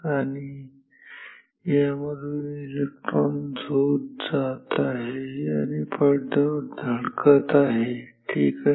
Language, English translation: Marathi, And, the electron beam is flowing through this and hitting this screen ok